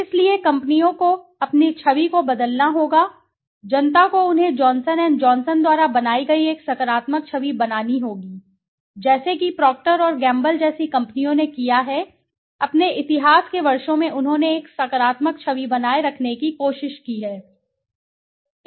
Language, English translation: Hindi, So companies have to change their image, the public they have to create a positive image as Johnson and Johnson created, as companies like Procter and Gamble have done, in the years of their history they have tried to maintain a positive image so that